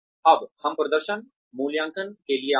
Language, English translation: Hindi, Now, we come to performance appraisal